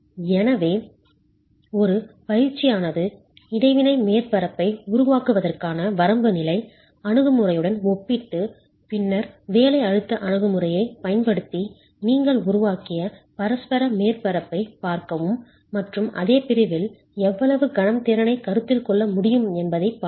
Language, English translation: Tamil, So, one exercise would be to compare this with the limit state approach to create an interaction surface and then look at the interaction surface that you have created using a working stress approach and how much more of moment capacity can be considered for the same section but using a different approach